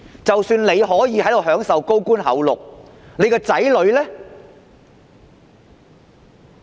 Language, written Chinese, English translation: Cantonese, 即使官員可以在這裏享受高官厚祿，他們的子女呢？, Even if the officials can stay in high office and enjoy fat salaries here what about their children?